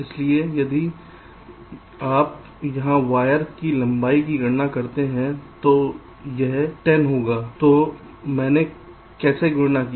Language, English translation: Hindi, so if you just calculate the wire length here, so it comes to ten